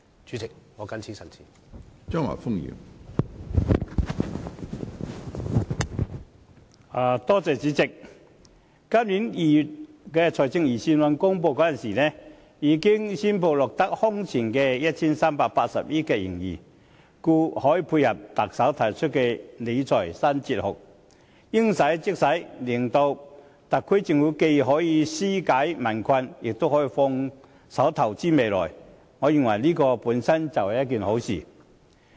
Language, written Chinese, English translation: Cantonese, 主席，今年2月公布的財政預算案顯示，政府財政盈餘達到空前的 1,380 億元，故可配合特首提出的理財新哲學，應使則使，讓特區政府既可紓解民困，也可放手投資未來，我認為這是好事。, Chairman the Budget announced in February this year shows that the Governments fiscal surplus has reached an unprecedented high of 138 billion . It can thus complement the new fiscal philosophy put forward by the Chief Executive spending money where it should thereby enabling the Special Administrative Region SAR Government to alleviate the peoples hardship and give itself a free hand in investing on the future . I think this is a good thing